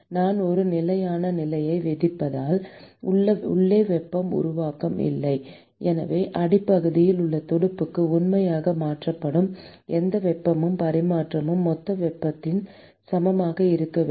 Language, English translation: Tamil, Because I impose a steady state condition, and there is no heat generation inside, so whatever heat that is actually transferred to the fin at the base should be equal to whatever total heat that is being transferred